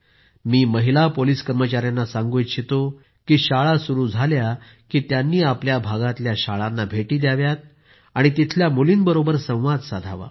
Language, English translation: Marathi, I would like to request the women police personnel to visit the schools in their areas once the schools open and talk to the girls there